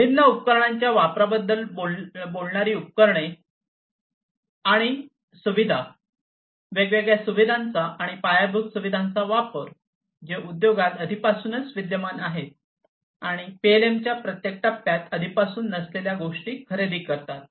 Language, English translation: Marathi, Equipment and facilities talking about the use of different equipments, use of different facilities, the use of different infrastructure, that are already existing in the in the industry and procuring the ones that are not already there in every phase of the PLM